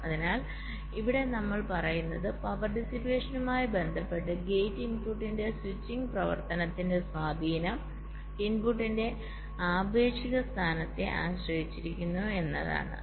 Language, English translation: Malayalam, so we here, what we says is that the impact of the switching activity of a gate input with respect to power dissipation depends on the relative position of the input